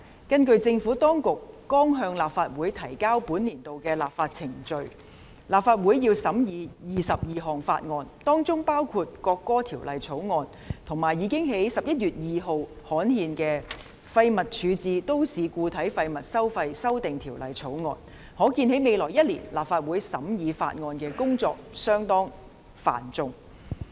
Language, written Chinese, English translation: Cantonese, 根據政府當局剛向立法會提交的本年度立法議程，立法會將須審議22項法案，包括《國歌條例草案》，以及已於11月2日刊憲的《2018年廢物處置條例草案》，可見在未來1年，立法會審議法案的工作相當繁重。, According to the legislative programme presented by the Administration to the Legislative Council this year the Legislative Council will have to scrutinize 22 bills including the National Anthem Bill as well as the Waste Disposal Amendment Bill 2018 which was gazetted on 2 November . It can thus be seen that in the coming year the Legislative Council will have a very heavy workload in terms of bill scrutiny